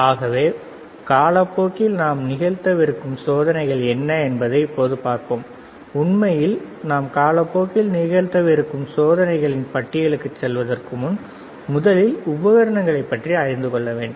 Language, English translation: Tamil, So, let us see now what are the experiments that we will be performing in a course of time, actually before we move to the list of experiments that we will be performing in the course of time, first my idea is that you should know that what are the equipment